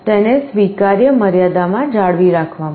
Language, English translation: Gujarati, To maintain it within acceptable limits